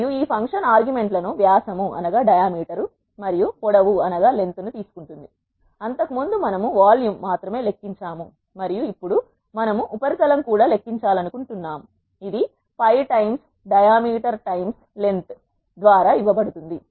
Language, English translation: Telugu, And this function takes an arguments diameter and length earlier we have calculated only volume and now we want to calculate the surface also which is given by pi times diameter times length